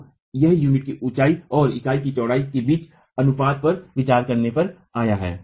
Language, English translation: Hindi, So this has been arrived at considering a proportion between the unit height and the unit width